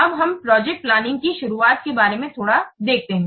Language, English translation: Hindi, Let's a little bit see about the introduction to project planning